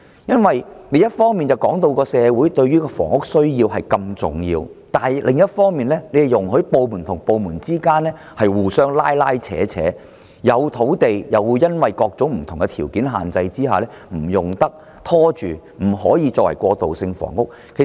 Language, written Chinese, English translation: Cantonese, 因為政府一方面指出房屋需要對社會如此重要，但另一方面卻容許多個部門互相拉扯，雖有土地卻又因為各種條件限制而拖延，以致未能作過渡性房屋的用途。, While on the one hand the Government stresses that housing needs are so important to the society but on the other hand it allows various departments to pass the buck around . Although land is available delays are caused due to various restrictions and the land cannot be used for transitional housing